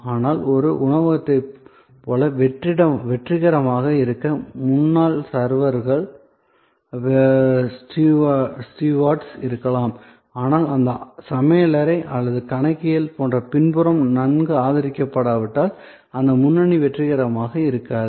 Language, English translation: Tamil, But, to be successful like in a restaurant, the front may be the servers, the stewards, but that front will not be successful unless it is well supported by the back, which is the kitchen or the accounting and so on